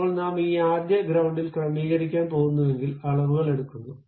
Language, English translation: Malayalam, Now, if I am going to adjust at this first front it is going to take these dimensions